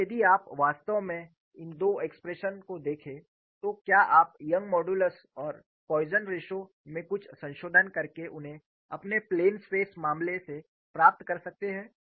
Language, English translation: Hindi, If you really look at these two expressions, can you get them from your plain stress case by making some modification to Young's modulus and Poisson ratio